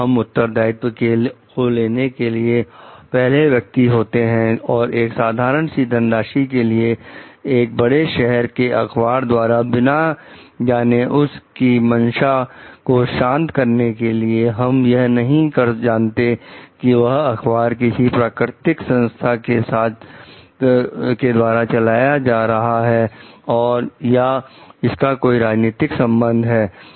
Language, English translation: Hindi, If we are first whether we will be taking up any responsibility as such for a nominal sum by a large city newspaper without knowing whether there is any mollified intention of the newspaper, we do not know like who that newspaper is like ran by is it a neutral organization or it has some like political affiliation